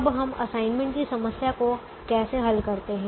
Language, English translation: Hindi, now how do we solve an assignment problem